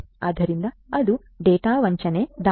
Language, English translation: Kannada, So, that is that data spoofing attack